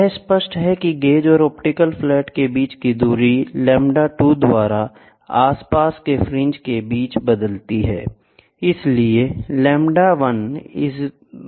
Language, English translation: Hindi, So, it is clear the distance between the gauge and the optical flat changes by lambda 2, by adjusting fringes